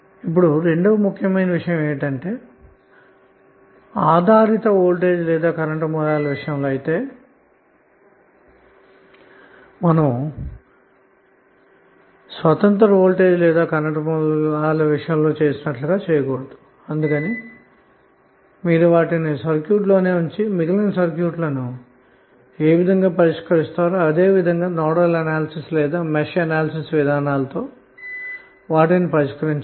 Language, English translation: Telugu, Now second important thing is that you cannot do that particular, you cannot apply that particular assumption in case of dependent voltage or current sources and you have to keep them with the circuit and solve them as you have solved for others circuits like a nodal analyzes or match analyzes